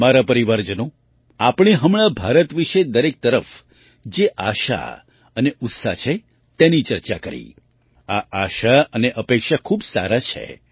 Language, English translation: Gujarati, My family members, we just discussed the hope and enthusiasm about India that pervades everywhere this hope and expectation is very good